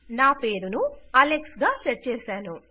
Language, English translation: Telugu, Ive got my name set to Alex